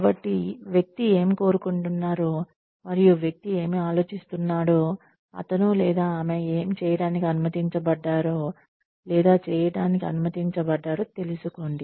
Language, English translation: Telugu, So, find out, what the person wants, and what the person thinks about, what he or she is permitted to doing, or permitted to do